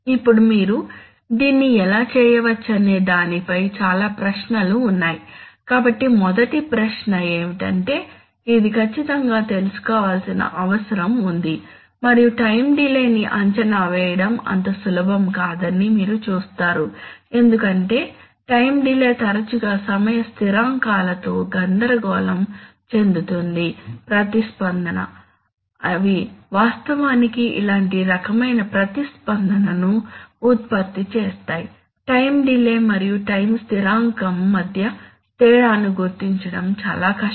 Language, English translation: Telugu, Now there are of course several questions as to how you can do it, so the first question is that you require to be able to do it, you require this to be known accurately and more importantly you require this to be known accurately, you see it is rather, it is not so simple to estimate time delays because time delays are often confused with time constants in the response, they actually generates similar kinds of response it is very difficult to differentiate between time delay and time constant